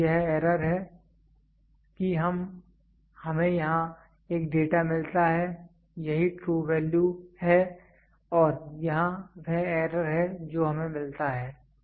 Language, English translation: Hindi, So, this is the error we get a data here this is the true value and here is the error what we get